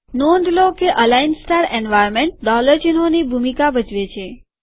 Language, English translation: Gujarati, Note that the align star environment takes the role of the dollar signs